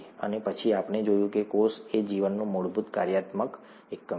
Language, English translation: Gujarati, And, then we saw that the cell is the fundamental functional unit of life